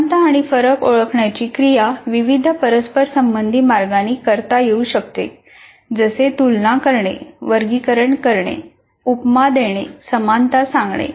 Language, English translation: Marathi, So identification of similarities and references can be accomplished in a variety of highly interactive ways like comparing, classifying, creating metaphors, creating analogies